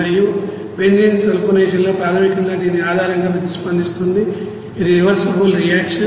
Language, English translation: Telugu, And sulphonation of benzene basically is reacted based on this, this is reversible reaction